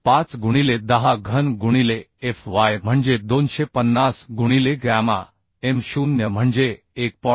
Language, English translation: Marathi, 5 into 10 cube into fy is 250 by gamma m0 is 1